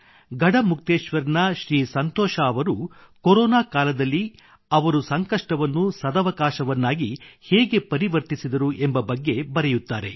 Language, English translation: Kannada, Shriman Santosh Ji from Garhmukteshwar, has written how during the Corona outbreak he turned adversity into opportunity